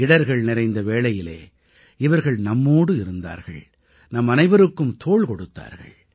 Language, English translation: Tamil, During the moment of crisis, they were with you; they stood by all of us